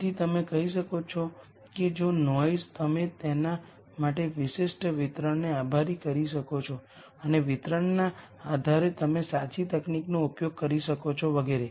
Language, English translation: Gujarati, So, you could say if the noise you could you could attribute a particular distribution for that and depending on the distribution you could use the correct technique and so on